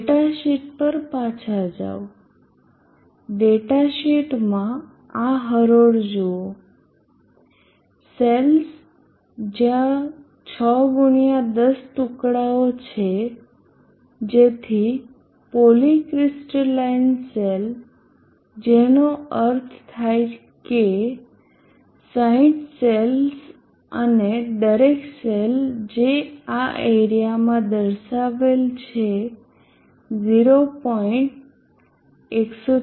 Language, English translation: Gujarati, Go back to the data sheet, the data sheet look at this row the sense there are 6 x 10 pieces so the poly crystalline cell between 60 cells and each cell having this area has indicated 0